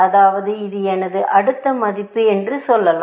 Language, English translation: Tamil, means, let us say, this is my next value